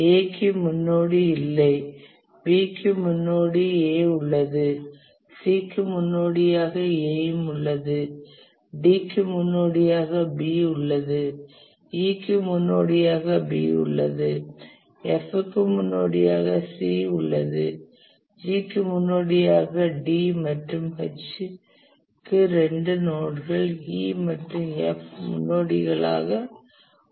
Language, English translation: Tamil, A has no predecessor, B has predecessor A, C also has predecessor A, D has B as the predecessor, E has also B as the predecessor, E has also B as the predecessor, F has C as the predecessor, G has D as the predecessor, and H has two nodes, E and F as the predecessor